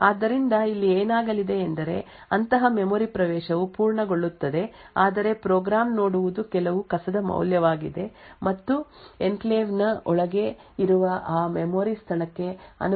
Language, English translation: Kannada, So what is going to happen over here is that such a memory access would complete but what the program would see is some garbage value and not the actual value corresponding to that memory location present inside the enclave